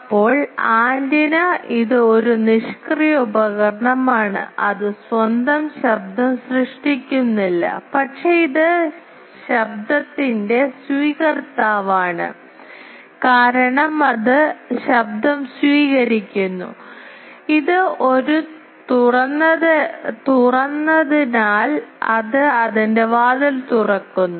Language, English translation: Malayalam, Now, antenna it is a passive device it does not create its own noise, but it is a receiver of noise because it receives noise, because it is an open it is opening its door